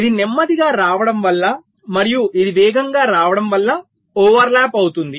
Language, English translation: Telugu, because it was coming slower and this was coming faster, there was a overlap